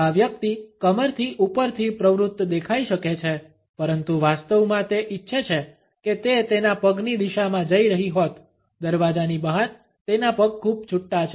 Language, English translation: Gujarati, This person may look engaged from the waist up, but in reality he is wishing he were heading in the direction of his feet; out the door, his feet are a dead giveaway